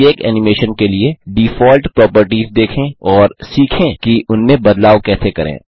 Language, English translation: Hindi, Lets look at the default properties for each animation and learn how to modify them